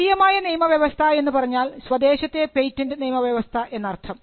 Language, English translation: Malayalam, The national regime is nothing, but the domestic patent regime